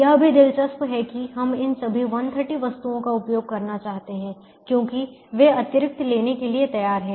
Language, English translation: Hindi, also interesting that we would like to use of all this hundred and thirty items because they are willing to take extra